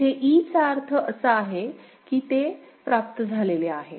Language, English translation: Marathi, Here at e means, it is it has received 1